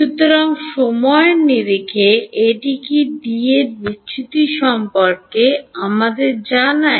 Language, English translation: Bengali, So, what is that in terms of time what does that tell us about divergence of D